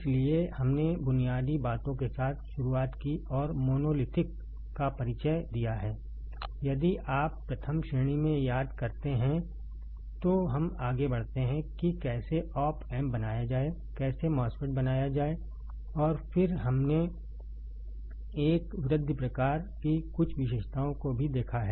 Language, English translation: Hindi, So, we started with basics and introduction of monolithic is if you remember in the first class, then we moved on to how to make the op amp, how to make the MOSFET, and then we have also seen some characteristics of a enhancement type, depletion type MOSFET right